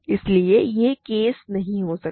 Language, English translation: Hindi, So, this case cannot occur right